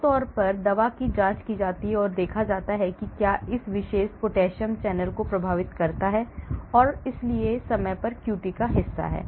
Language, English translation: Hindi, So, generally drug is checked and seen whether it affects this particular potassium channel and hence the QT part of the time